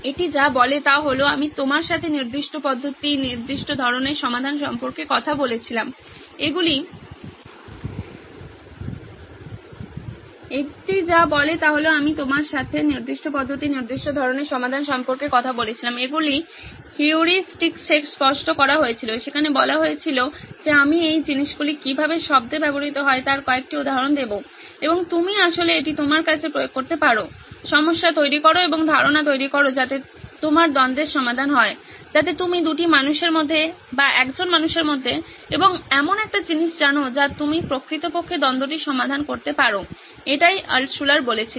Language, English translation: Bengali, What it says is like I was talking to you about certain methods, certain types of solutions, these where crystallized these were put into heuristics of saying I will give you some examples of how these things are worded and you can actually apply it back to your problem and generate ideas so that your conflict is resolved, so that you know between two humans or between a human and a thing you can actually resolve the conflict, so this is what Altshuller had said